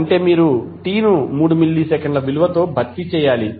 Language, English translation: Telugu, It means you have to simply replace t with the value of 3 milliseconds